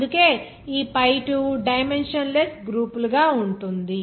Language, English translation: Telugu, That is why this pi2 will be as dimensionless groups